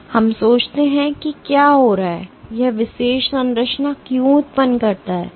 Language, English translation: Hindi, So now, let us think as to what is happening, why does it generate this particular structure